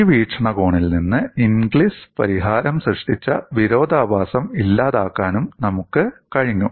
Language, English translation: Malayalam, And from this perspective, we were also able to dispel the paradox generated by Ingli solution